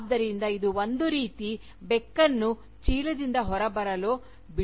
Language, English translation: Kannada, So, this is something like, letting the Cat, out of the Bag